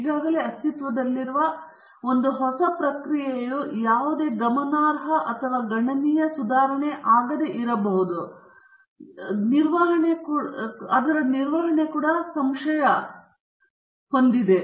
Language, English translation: Kannada, The management is also skeptical that the new process may not be any significant or considerable improvement over an already existing one